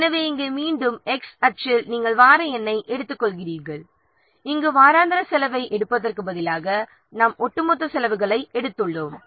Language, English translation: Tamil, So, here again in the X axis, we are taking the week number and here instead of taking the just weekly cost, we have taken the cumulative costs